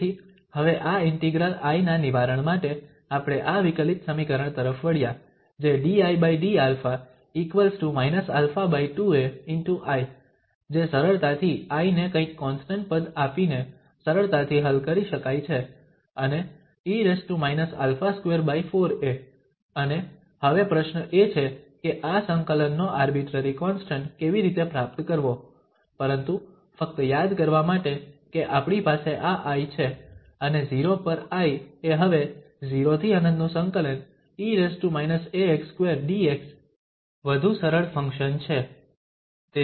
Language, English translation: Gujarati, So, now for solving this integral I we turned up to this differential equation which is dI over d alpha is equal to minus alpha over 2a I which can easily be solved to give this I some constant term and exponential minus this alpha square over 4a, and now the question is that how to get this arbitrary constant of integration, but just to recall that we have this I and the I at 0 is a much more simplified function now, 0 to infinity and we have e power minus a x square dx